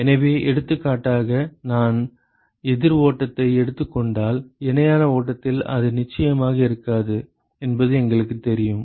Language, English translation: Tamil, So, for example, if I take a counter flow it is definitely not the case in a parallel flow we know that ok